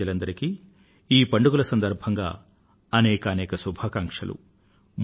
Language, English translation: Telugu, Felicitations to all of you on the occasion of these festivals